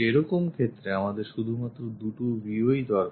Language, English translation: Bengali, In that case, we just require two views only